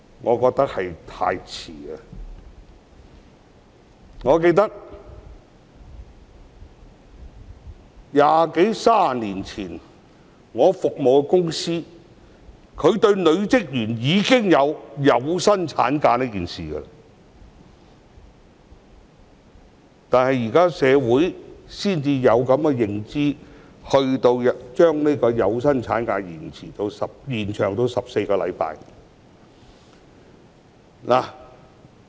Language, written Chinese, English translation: Cantonese, 我記得二三十年前，我服務的公司已經向女職員提供有薪產假，但社會到現在才有這個意識，將有薪產假延長至14星期。, As I can recall two to three decades ago the company for which I worked already offered paid maternity leave to its female employees but it is not until now that our society has the consciousness to extend paid maternity leave to 14 weeks